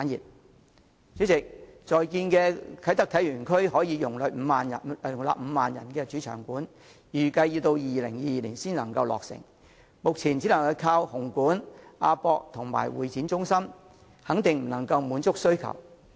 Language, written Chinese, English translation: Cantonese, 代理主席，正在興建的啟德體育園區可容納5萬人的主場館，預計要到2022年才落成，目前只能依靠紅磡體育館、亞洲國際博覽館及香港會議展覽中心，肯定不能滿足需求。, Deputy President the main stadium of Kai Tak Sports Park which has a seating capacity of 50 000 is currently under construction . As it is excepted that the construction will not be completed until 2022 we can only rely on Hong Kong Coliseum the Asia World - Expo and the Hong Kong Convention and Exhibition Centre at present but these venues are by no means capable of meeting the demand